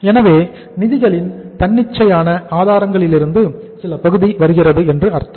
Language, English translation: Tamil, So it means some part is coming from spontaneous sources of the finance